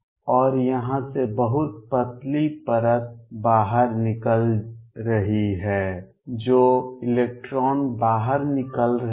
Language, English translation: Hindi, And very thin layer out here those electrons getting exited